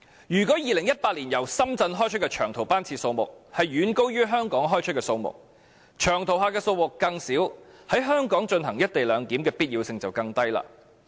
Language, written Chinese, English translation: Cantonese, 如果2018年由深圳開出的長途班次數目遠高於從香港開出的數目，長途客的數目越少，在香港進行"一地兩檢"的必要性便越低。, These are decisive factors . If the number of long - haul trips departing from Shenzhen far exceeds the number of those departing from Hong Kong in 2018 the smaller the number of long - haul travellers the lower the necessity for the co - location arrangement to be implemented in Hong Kong